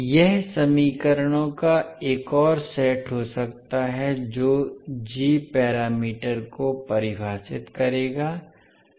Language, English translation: Hindi, So, this can be another set of equations which will define the g parameters